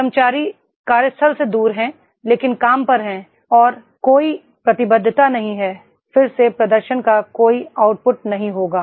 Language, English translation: Hindi, Employees away from the workplace but at work and there is no commitment, again there will be no output of the performance